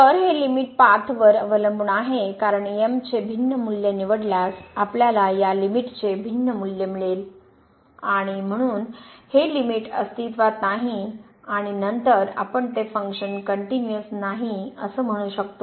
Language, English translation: Marathi, So, this limit depends on path because choosing different value of we will get a different value of this limit and hence this limit does not exist and then again we will call that this function is not continuous